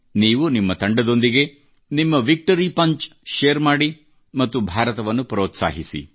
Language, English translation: Kannada, Do share your Victory Punch with your team…Cheer for India